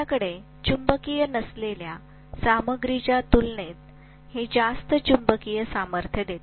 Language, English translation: Marathi, It gives much more magnetic strength compared to what you have in a non magnetic material